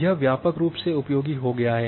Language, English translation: Hindi, So, it has got wide useful as